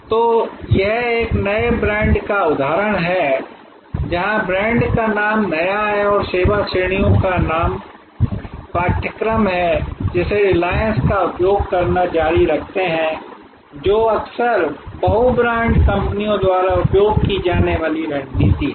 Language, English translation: Hindi, So, this is an example of a new brand, where the brand name is new and the service categories new of course, they continue to use reliance, which is often the tactics used by multi brand companies